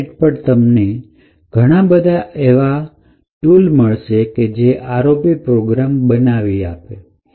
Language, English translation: Gujarati, On the internet there are several tools which would help you in building these ROP programs